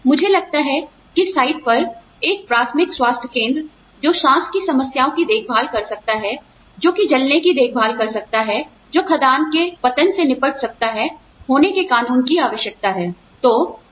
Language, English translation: Hindi, They will have to have, I think, there are required by law, to have a primary health center, on site, that can take care of respiratory problems, that can take care of burns, that can deal with mine collapses